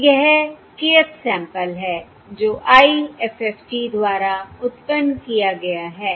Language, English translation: Hindi, So this is the kth sample which is generated by the IFFT, So the kth sample generated by the IFFT